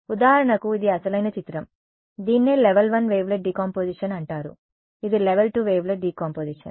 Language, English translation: Telugu, So, for example, this is the original image, this is what is called a level 1 wavelet Decomposition, this is a level 2 wavelet Decomposition level